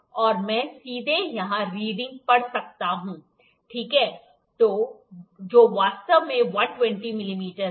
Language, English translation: Hindi, And I can directly read the reading here, ok, which is again actually 120 mm